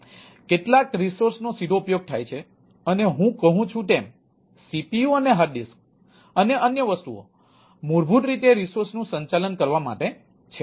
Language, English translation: Gujarati, some resources are directly utilized, right, like if i say that ah cpu and a hard disk and other things, some are basically meant to manage those ah resources